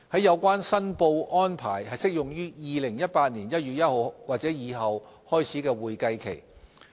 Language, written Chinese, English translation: Cantonese, 有關申報安排適用於2018年1月1日或以後開始的會計期。, The proposed filing requirement will apply to an accounting period commencing on or after 1 January 2018